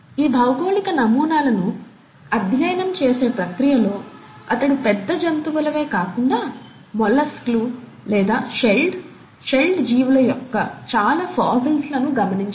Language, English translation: Telugu, And in the process of studying these geological specimens, he did observe a lot of fossils of not just high end animals, but even molluscs, or shelled, shelled organisms